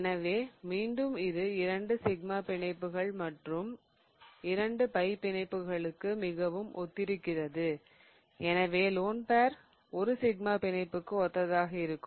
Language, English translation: Tamil, So, again, it's very similar to two sigma bonds and two pi bonds because we can assume a loan pair to be corresponding to a sigma bond